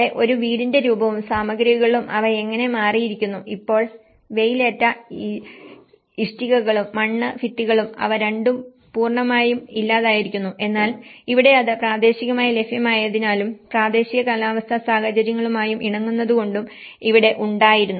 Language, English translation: Malayalam, And there is a house form, materials, how they have changed, now today in sundried bricks and rammed earth walls they are completely absent in both the cases but whereas, here it was present because it was locally available and the local climatic conditions